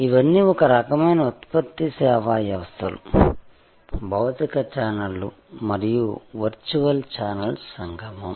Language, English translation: Telugu, All these are kind of becoming a part of a product service system, a confluence of physical channels and virtual channels